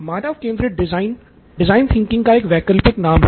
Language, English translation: Hindi, Human centered design is an alternate name for design thinking